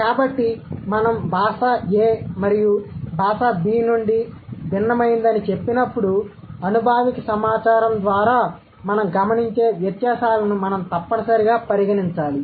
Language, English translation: Telugu, So, when we say a language A is different from language B, we must account for the solid differences that we observe through the empirical evidence or through the empirical data